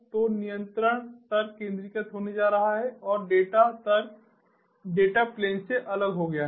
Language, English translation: Hindi, so the control logic is going to be centralized and is separated from the data logic